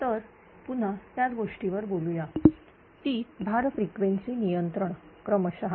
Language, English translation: Marathi, So, let us come with the same thing that load frequency control continuation